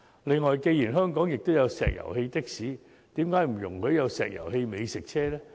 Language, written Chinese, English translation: Cantonese, 此外，既然香港也有石油氣的士，為何不也容許有石油氣美食車呢？, We have liquefied petroleum gas LPG taxis operating in Hong Kong so why cant we also allow LPG food trucks to run in the city?